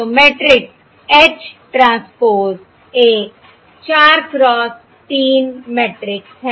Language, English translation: Hindi, So the matrix H transpose is a 4 cross 3